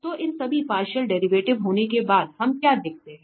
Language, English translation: Hindi, So, having all these partial derivatives what we see